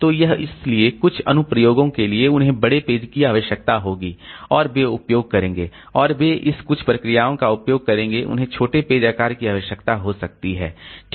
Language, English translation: Hindi, So, this, so, so for some applications they will require larger page size and they will, they will be using this and some processes they may require smaller page size, okay